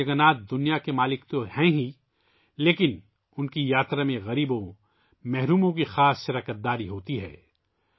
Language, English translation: Urdu, Bhagwan Jagannath is the lord of the world, but the poor and downtrodden have a special participation in his journey